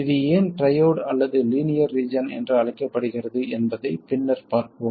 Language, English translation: Tamil, Later we will see why it's called either triode or linear region